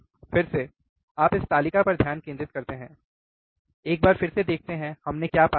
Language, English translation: Hindi, Again, you concentrate on this table, once again, let us see um, what we have found